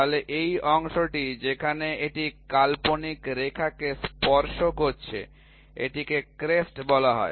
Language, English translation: Bengali, So, this portion where it is touching the imaginary line it is called as the crest